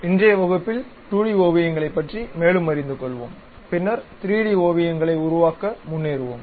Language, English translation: Tamil, In today's class, we will learn more about 2D sketches and then go ahead construct 3D sketches